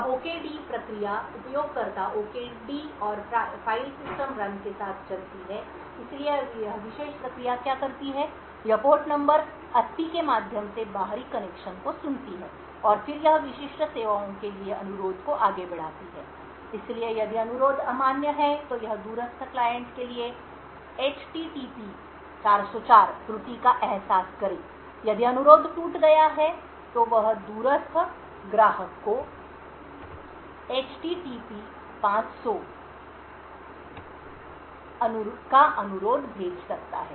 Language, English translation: Hindi, Now the OKD process runs with the user OKD and in the file system run, so what this particular process does, it listens to external connections through port number 80 and then it forwards the request to specific services, so if the request is invalid then it sense a HTTP 404 error to the remote client if the request is broken then it could send an HTP 500 request to the remote client